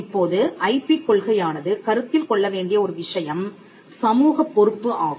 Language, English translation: Tamil, Now, one of the things that IP policy should consider this social responsibility